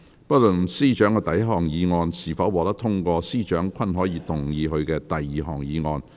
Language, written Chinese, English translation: Cantonese, 不論司長的第一項議案是否獲得通過，司長均可動議他的第二項議案。, Irrespective of whether the Chief Secretary for Administrations first motion is passed or not the Chief Secretary for Administration may move his second motion